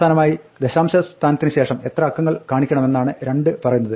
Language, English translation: Malayalam, Finally, the 2 says how many digits to show after the decimal point